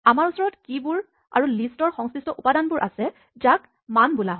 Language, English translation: Assamese, We have keys and the corresponding entries in the list are called values